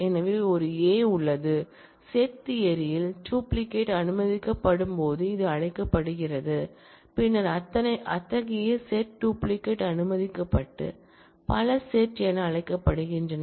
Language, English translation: Tamil, So, there is a; this is called when duplicates are allowed in set theory, then such sets where duplicates are allowed and known as multi sets